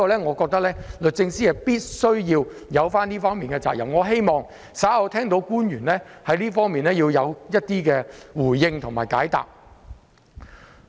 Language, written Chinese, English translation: Cantonese, 我認為律政司有這方面的責任，希望稍後官員會就這方面作出回應和解答。, The Department of Justice has the responsibility to do these things . I hope that officials will respond and provide a reply to this later